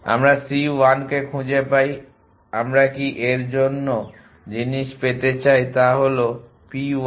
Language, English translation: Bengali, We find to c 1 can we want to get things for this is p 1 and hence p 2